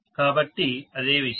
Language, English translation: Telugu, So the same thing, yes